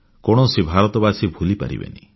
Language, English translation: Odia, No Indian can ever forget